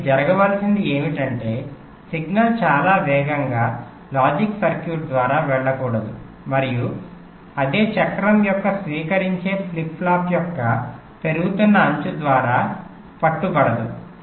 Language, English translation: Telugu, so the ideal is that signal should not go through the logic circuit too fast and get captured by the rising edge of the receiving flip flop of the same cycle